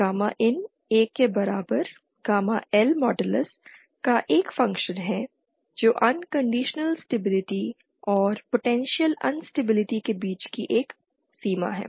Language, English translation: Hindi, Gamma in is a function of gamma L modulus equal to 1 is a boundary between unconditional stability and potential instability